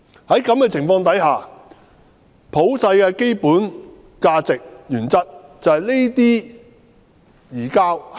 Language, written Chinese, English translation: Cantonese, 在這種情況下，普世的基本價值是不應實施這類移交。, In this situation there should not be a surrender of suspect if the universal basic values dictate